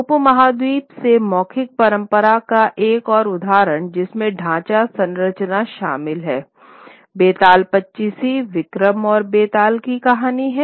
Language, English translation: Hindi, Another example of a oral tradition from the subcontinent which has contained framework structure is the Betal Pachisi, the story of Vikram and Betal